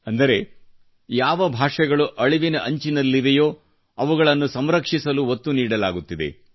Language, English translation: Kannada, That means, efforts are being made to conserve those languages which are on the verge of extinction